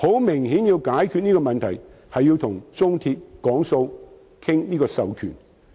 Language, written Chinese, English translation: Cantonese, 明顯地，想解決手續費問題，便要與中鐵談判，商討授權。, To solve the issue of handling fee evidently we must negotiate with the China Railway for authorization